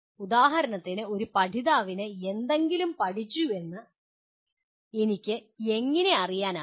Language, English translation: Malayalam, For example, how do I know a learner has learned something